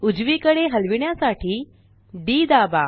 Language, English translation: Marathi, Press D to move to the right